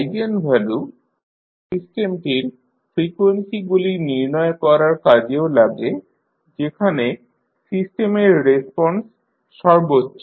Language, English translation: Bengali, Now, eigenvalues can also be used in finding the frequencies of the system where the system response is maximum